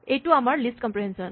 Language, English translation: Assamese, This is our list comprehension